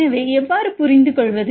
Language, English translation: Tamil, So, how to get the values